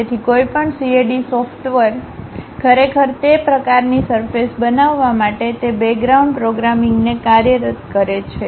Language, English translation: Gujarati, So, any CAD software actually employs that background programming, to construct such kind of surfaces